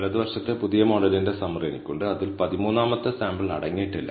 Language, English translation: Malayalam, On the right, I have the summary of the new model, which does not contain the 13th sample